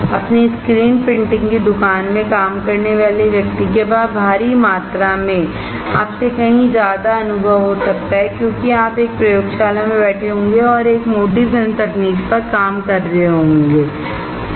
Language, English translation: Hindi, A guy working in his screen printing shop may have huge amount of experience than you will get sitting in a laboratory and doing a thick film technology right